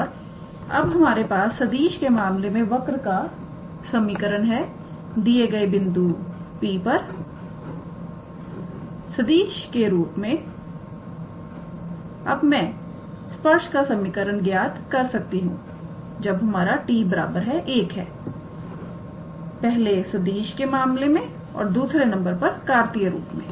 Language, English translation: Hindi, And now that we have this equation of the curve in terms of vector as a vector form I can calculate the equation of the tangent at the point P or at a point when where t equals to 1, first in terms of the vector and the second we will calculate as a Cartesian form